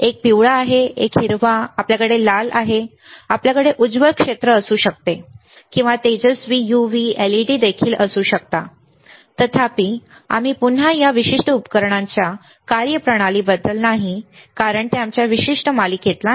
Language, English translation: Marathi, One is yellow right, one is green, we can have red, we can have bright field or bright we can also have UV, LEDS; however, we again do not do not about the functioning of this particular devices, because that is not scope of our particular series